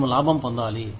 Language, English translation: Telugu, We have to make profit